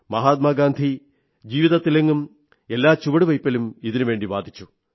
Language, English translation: Malayalam, Mahatma Gandhi had advocated this wisdom at every step of his life